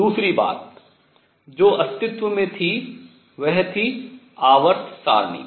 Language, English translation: Hindi, The other experiment thing that existed was periodic table